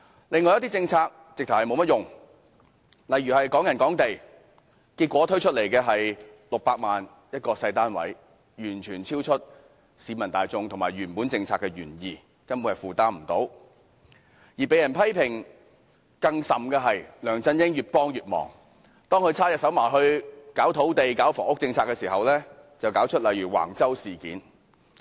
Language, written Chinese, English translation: Cantonese, 另外一些政策更是毫無用處，例如"港人港地"，結果推出來的是600萬元一個小單位，完全超出市民大眾和原本政策的原意，根本是無人負擔得起；而被人批評得更甚的是梁振英越幫越忙，當他插手搞土地、房屋政策時，便搞出如橫洲事件等。, For example under the policy of Hong Kong Property for Hong Kong People small flats priced at 6 million are put on sale which is well beyond the affordability of the general public and has deviated from the original policy intent . Worse still LEUNG Chun - ying is criticized for doing a great disservice to the people . When he meddles in land and housing matters issues such as Wang Chau incident have arisen